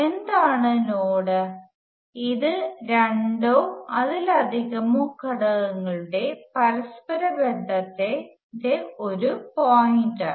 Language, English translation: Malayalam, And what is the node, it is a point of a interconnection of two or more elements